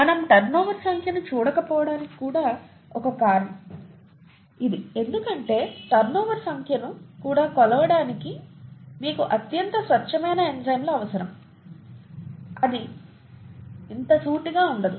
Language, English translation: Telugu, And this is one of the reasons why we don’t look at turnover number because you need highly pure enzymes to even measure turnover number which itself is not very straightforward